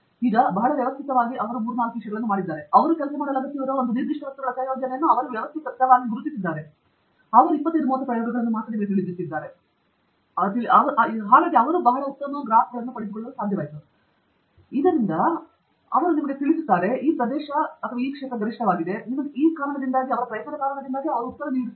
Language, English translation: Kannada, Now, very systematically they have done some three, four things; they have systematically identified a specific set of materials which they need to work on, and they have done only you know 25 experiments, from that they were able to get a very nice pair of graphs, from that they could you know clearly tell you that one particularly region is a maximum, they give you the answer